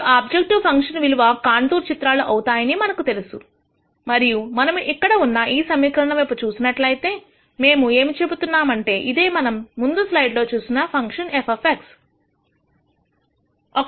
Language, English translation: Telugu, Now, we know that the constant objective function values are contour plots and if we look at this equation here what we are saying is that the function f of X which we saw from the previous slide